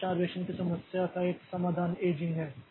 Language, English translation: Hindi, So, one solution to the starvation problem is the aging